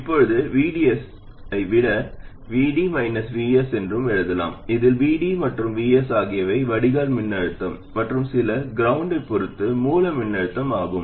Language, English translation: Tamil, Now VDS can also be written as VD minus VS, where VD and VS are the drain voltage and the source voltage with respect to some ground